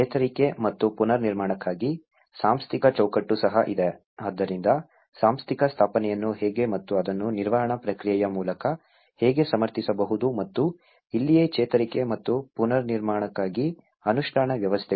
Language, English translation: Kannada, There is also the Institutional Framework for Recovery and Reconstruction, so how the institutional set up and how it can actually be advocated through a management process and this is where the implementation arrangements for Recovery and Reconstruction